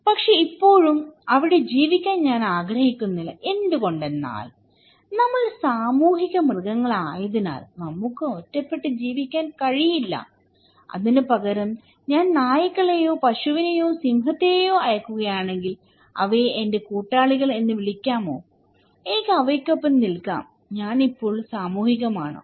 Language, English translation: Malayalam, But still I do not want to live there because why; because we are social animals, we cannot live in isolation so, if instead of that, I send dogs or maybe cow, lion, can we call it kind of they are my companions, I can stay with them, am I social now; basically, no